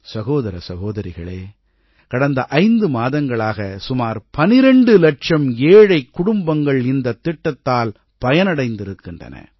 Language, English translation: Tamil, Brothers and Sisters, about 12 lakhimpoverished families have benefitted from this scheme over a period of last five months